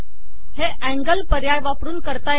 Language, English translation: Marathi, This is done by the angle option